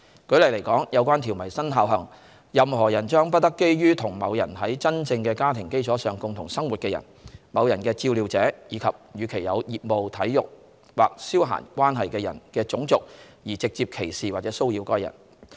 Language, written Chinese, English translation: Cantonese, 舉例來說，有關條文生效後，任何人將不得基於與某人在真正的家庭基礎上共同生活的人、某人的照料者，以及與其有業務、體育或消閒關係的人的種族，而直接歧視或騷擾該人。, For instance after the enactment of the relevant provisions it will be unlawful for a person to discriminate against directly or harass an associate of the another person who is living with the person on a genuine domestic basis a carer of the person or another person who is in a business sporting or recreational relationship with the person on ground of their race